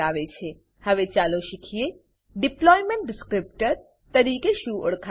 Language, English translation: Gujarati, Now let us learn about what is known as Deployment Descriptor